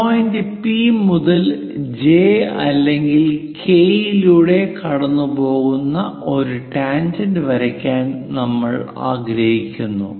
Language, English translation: Malayalam, From point P, one has to draw a tangent passing either through J or through K